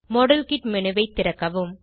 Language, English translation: Tamil, Open the model kit menu